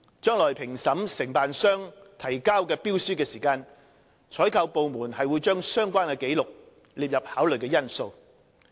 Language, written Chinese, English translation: Cantonese, 將來在評審承辦商提交的標書時，採購部門會將相關紀錄列入考慮因素。, The procuring department will take into account the relevant records for evaluation of tenders submitted by contractors in the future